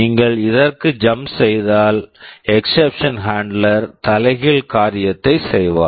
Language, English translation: Tamil, If you jump to this, for return the exception handler will do the reverse thing